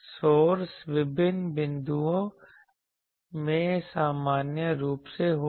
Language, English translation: Hindi, Source will be in general in a different points